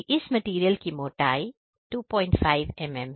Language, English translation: Hindi, So, the thickness of this material is 2